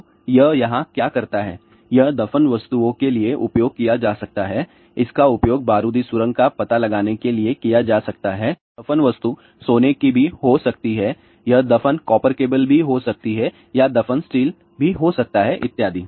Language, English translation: Hindi, So, what it does here this is used for buried objects, it can be used for landmine detection, buried objects can be even it can be a gold, it can be just buried copper cables or it can be a you know buried steel and so on